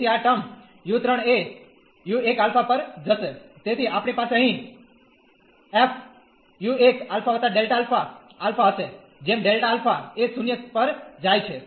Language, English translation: Gujarati, So, this term psi 3 will go to u 1 alpha, so we have here f and u 1 alpha and this alpha plus delta alpha will be alpha as delta alpha goes to 0